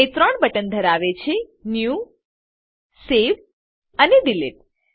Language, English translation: Gujarati, It has three buttons New, Save and Delete